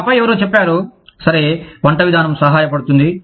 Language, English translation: Telugu, And then, somebody said, okay, a cooking range would be helpful